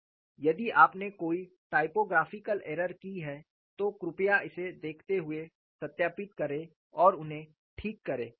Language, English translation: Hindi, If you have made any typographical errors, please verify and correct them while looking at this